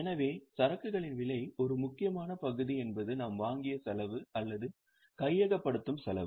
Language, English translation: Tamil, So, cost of inventory, one obvious part is the cost at which we have purchased or the cost of acquisition